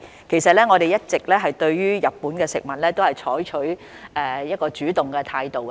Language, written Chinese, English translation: Cantonese, 其實，我們一直對日本食品採取主動的態度。, In fact we have been adopting a proactive attitude on Japanese food